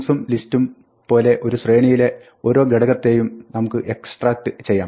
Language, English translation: Malayalam, So, like strings and list, in a tuple you can extract one element of a sequence